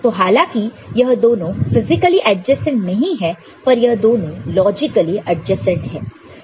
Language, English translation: Hindi, So, though they are physically not adjacent, but they are logically adjacent